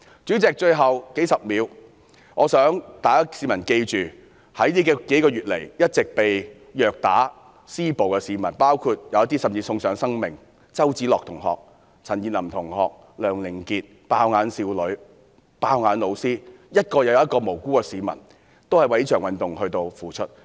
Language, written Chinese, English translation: Cantonese, 主席，最後數十秒，我想香港市民記着這數個月以來被虐打和施暴的市民，有些甚至送上生命，包括周梓樂同學、陳彥霖同學、梁凌杰、"爆眼"少女、"爆眼"老師，一名又一名無辜的市民為了這場運動付出。, President in the remaining dozens of seconds I would like members of the public in Hong Kong to remember those people battered and abused over the past few months . Some of them including student CHOW Tsz - lok student CHAN Yin - lam and LEUNG Ling - kit even lost their lives with a young woman and a teacher both sustaining severe eye injuries . Innocent people have dedicated themselves to the movement one after another